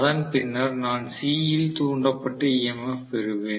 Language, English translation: Tamil, Then I am going to have the induce EMF in C